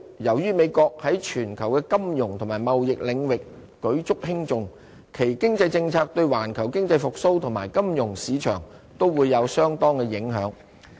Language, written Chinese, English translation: Cantonese, 由於美國在全球的金融及貿易領域舉足輕重，其經濟政策對環球經濟復蘇及金融市場，都會有相當的影響。, Owing to the United States importance to global finance and trade its economic policy will be highly influential in economic recovery and financial markets worldwide